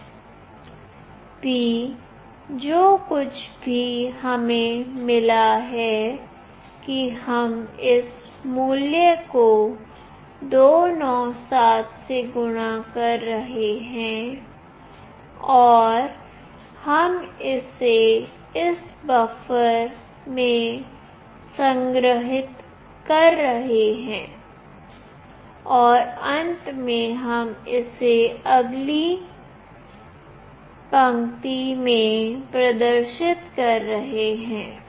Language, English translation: Hindi, p is whatever we have got that we are multiplying with this value 297 and we are storing it in this buffer, and finally we are displaying it in the next line